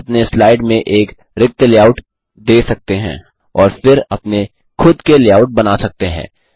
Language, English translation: Hindi, You can apply a blank layout to your slide and then create your own layouts